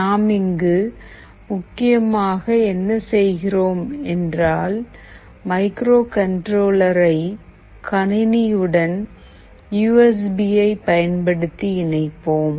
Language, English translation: Tamil, What we are essentially doing here is that we will connect first the device, the microcontroller, using the USB to our PC